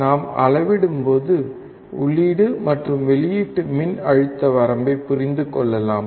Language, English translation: Tamil, When we measure, we can understand the input and output voltage range